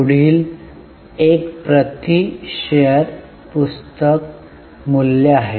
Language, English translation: Marathi, The next one is book value per share